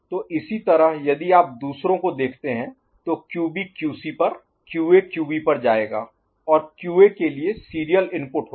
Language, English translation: Hindi, So, similarly if you look at the others QB will go to QC, QA to QB and for QA there will be serial input in